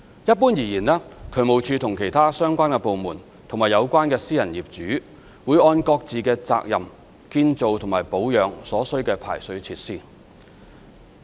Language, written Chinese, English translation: Cantonese, 一般而言，渠務署和其他相關部門及有關私人業主會按各自的責任建造及保養所需的排水設施。, In general the construction and maintenance of the required drainage facilities are undertaken by the Drainage Services Department DSD other relevant departments and private owners concerned according to their respective responsibility